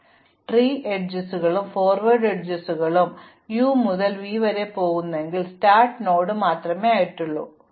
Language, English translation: Malayalam, So, for both tree edges and forward edges, if I am going from u to v then the interval with the start node u will contain the other one